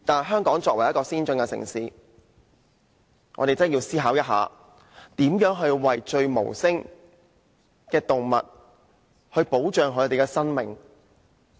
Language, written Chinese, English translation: Cantonese, 香港作為一個先進城市，我們確實需要思考怎樣保障無聲的動物的生命。, Hong Kong as an advanced city should consider how we can protect the lives of animals who cannot speak for themselves